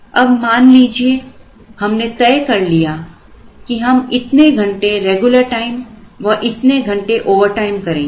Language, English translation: Hindi, Let us say we are going to use this many hours of regular time this many hours of overtime